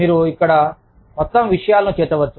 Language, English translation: Telugu, You could include, a whole bunch of things, here